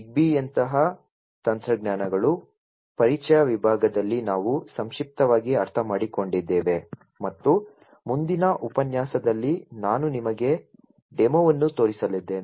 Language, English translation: Kannada, Technologies such as ZigBee, which we have briefly understood in the introduction section and also in the next lecture I am going to show you a demo of